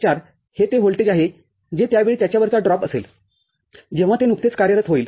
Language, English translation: Marathi, 4 is the voltage that will be the drop across this at that time, when it just starts operating